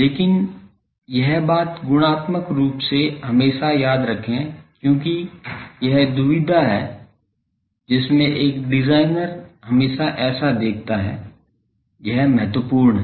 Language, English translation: Hindi, But this thing qualitatively remember always because, this is the dilemma in which a designer always sees so, this is important